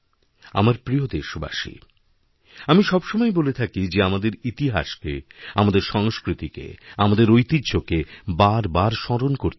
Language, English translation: Bengali, My dear countrymen, I maintain time & again that we should keep re visiting the annals of our history, traditions and culture